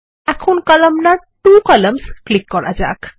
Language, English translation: Bengali, Let us now click on the Columnar, two columns